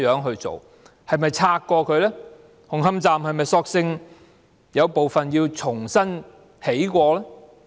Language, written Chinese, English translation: Cantonese, 紅磡站是否索性有部分須重新興建呢？, Would it not be simpler to rebuild part of Hung Hom Station from scratch?